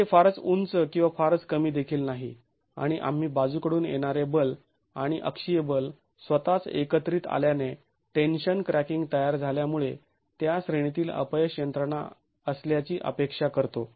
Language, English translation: Marathi, It is neither too high nor too low and we expect the failure mechanism in that range to be because of the formation of tensile cracking due to the combination of lateral force and the axial force itself